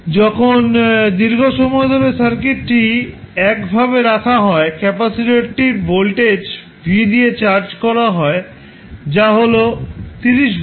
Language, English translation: Bengali, Now, when you keep the circuit like this for a longer duration, the capacitor will be charged with the voltage v which is 30 volt